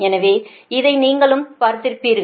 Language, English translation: Tamil, so you have also seen this one